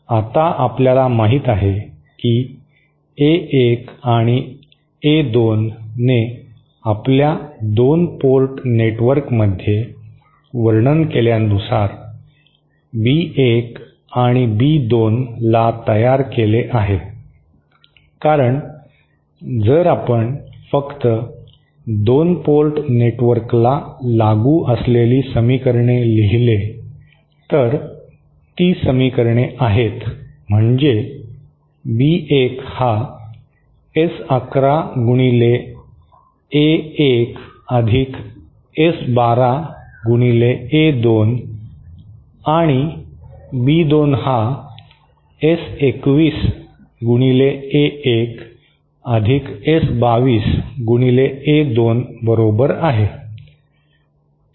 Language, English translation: Marathi, Now, we know that A1 and A2 give rise to B1 and B2 as described in our 2 port network, is not it because if we write down the equations as applicable to just this 2 port network, the equations are as B1 is equal to S11 A1 + S12 A2 and B2 is equal to S21 A1 + S22 A2